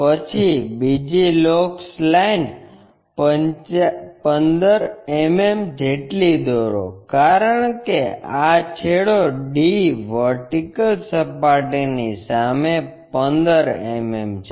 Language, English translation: Gujarati, Then draw another locus line 15 mm, because this end D is 15 mm in front of vertical plane